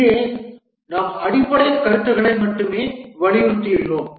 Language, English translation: Tamil, Here we'll emphasize only on the basic concepts